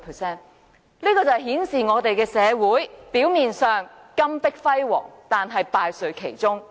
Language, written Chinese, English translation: Cantonese, 這顯示香港社會金玉其外，但敗絮其中。, This exactly manifests that in the society of Hong Kong all that glitters is not gold